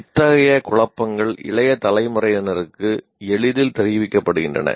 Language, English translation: Tamil, Such confusions are easily communicated to the younger generation